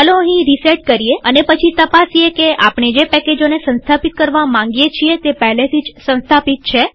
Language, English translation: Gujarati, And then we will just check whether the packages that we tried to install are already installed